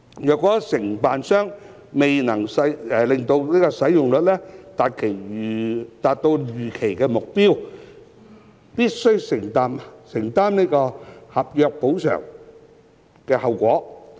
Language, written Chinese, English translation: Cantonese, 如承辦商未能令使用率達到預期目標，必須承擔合約補償及後果。, Failure of the contractor to achieve the expected target take - up rate will be subject to contractual remedies and consequences